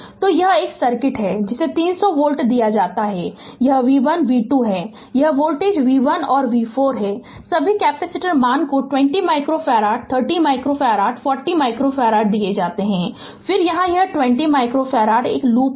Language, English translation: Hindi, So, this is a circuit is given 300 volt this is v 1 v 2 this voltage is v 3 and v 4 all the capacitor value are given 20 micro farad, 30 micro farad, 40 micro farad and again here it is 20 micro farad right these loop